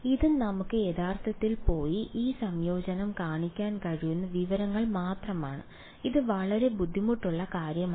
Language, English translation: Malayalam, This is just information we can we can actually go and show this integration its not very difficult ok